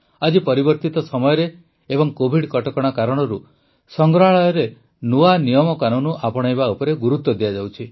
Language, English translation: Odia, Today, in the changing times and due to the covid protocols, emphasis is being placed on adopting new methods in museums